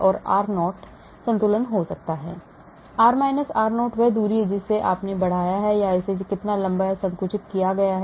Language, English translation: Hindi, r0 could be the equilibrium, r – r0 is the distance you have stretched, or how much it has been elongated or even compressed